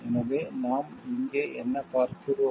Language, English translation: Tamil, So, what we see over here